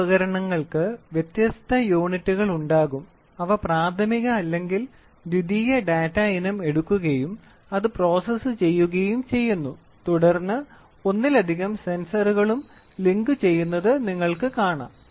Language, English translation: Malayalam, These devices will have varying units and they do single or that is primary or secondary data item is taken and then it is processed and then you can see multiple sensors also getting linked